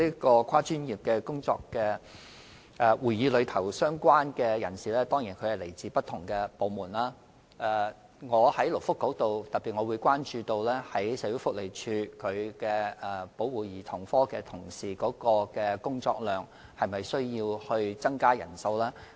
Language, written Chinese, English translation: Cantonese, 多專業個案會議的成員當然是來自不同部門，而我身為勞工及福利局局長亦會特別關注社署保護家庭及兒童科的同事的工作量，以考慮是否有需要增加人手。, It is true that Members of MDCC come from different departments and as the Secretary for Labour and Welfare I have paid special attention to the workload of colleagues in SWDs Family and Child Protective Services Unit to see if there is a need to increase manpower